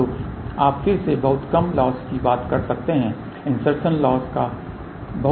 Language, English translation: Hindi, So, you may again thing over losses are very small insertion loss is very small